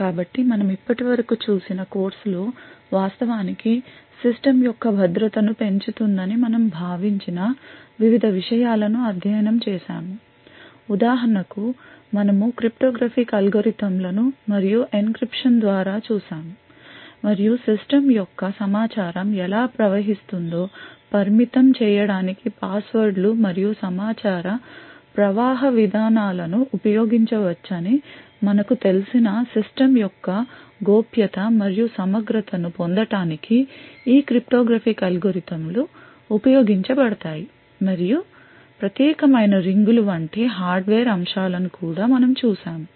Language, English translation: Telugu, So the in the course that we have seen so far we had actually studied various things that we thought would actually increase the security of the system for example we had looked at cryptographic algorithms and by means of encryption and decryption these cryptographic algorithms would actually be used to obtain confidentiality and integrity of the system we have known that passwords and information flow policies can be used to restrict how information flows in the system and we have also seen that hardware aspects such as the privileged rings present in modern processors and enclaves such as the SGX and Trustzone which are present in Intel and ARM processors respectively have been used at the hardware level to increase security of the system